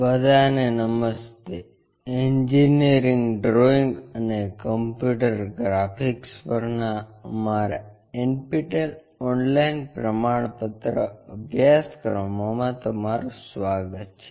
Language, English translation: Gujarati, Hello all, welcome to our NPTEL Online Certification Courses on Engineering Drawing and Computer Graphics